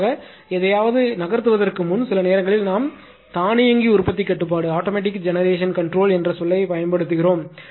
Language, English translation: Tamil, In general actually before moving anything that sometimes we use the term automatic generation control right